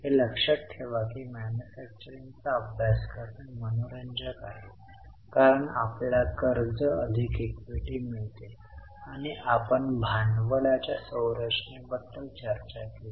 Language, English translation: Marathi, Keep in mind that it is interesting to study manufacturing because you get debt plus equity and we have discussed about capital structure